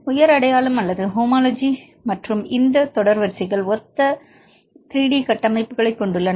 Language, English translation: Tamil, High identity or homology and then these sequences have similar 3D structures, right